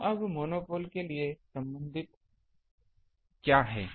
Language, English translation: Hindi, So, now, what is the corresponding things for monopole